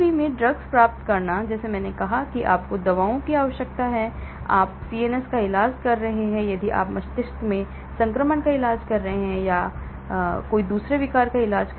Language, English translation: Hindi, So, getting drugs across BBB; like I said that you need drugs, if you are treating CNS; if you are treating infections in the brain or if you are treating a brain disorder